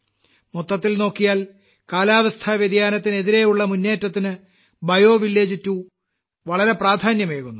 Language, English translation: Malayalam, Overall, BioVillage 2 is going to lend a lot of strength to the campaign against climate change